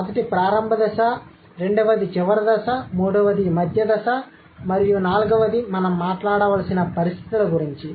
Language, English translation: Telugu, The first point is about initial stage, second is about final stage, third is the intermediate stages and fourth is the conditions that we have to talk about